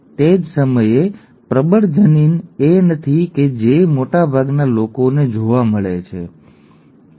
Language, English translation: Gujarati, At the same time the dominant allele is not the one that is found the majority of people, okay